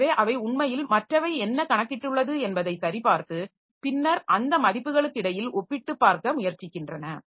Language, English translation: Tamil, So, they actually check what other other fellow has computed and then tries to compare between those values and come to a decision like which one is correct